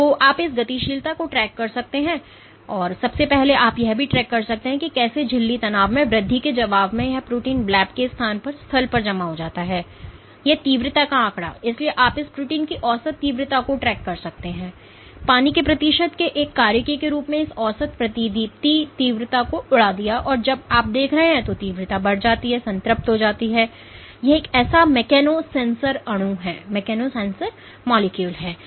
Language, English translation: Hindi, So, you can track this dynamics first of all you can also track how in response to increase in membrane tension, this protein accumulates at the location site of the bleb and this intensity figure so, you can track the average intensity of this protein at the bleb this average fluorescence intensity as a function of the percentage of water, and what you see is intensity increases and saturates, suggesting that this is one such mechano sensor molecule